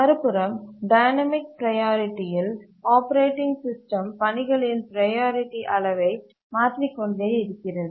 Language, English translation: Tamil, On the other hand in a dynamic priority, the operating system keeps on changing the priority level of tasks